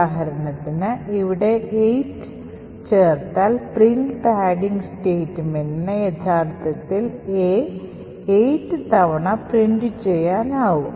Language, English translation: Malayalam, So for example if I add see 8 over here then print padding could actually print A 8 times as follows